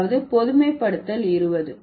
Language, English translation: Tamil, That is the generalization 20